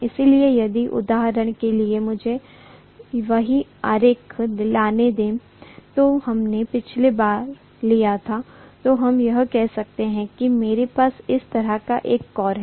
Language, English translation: Hindi, So if for example, let me take the same diagram what we had taken last time, so let us say I have a core like this, right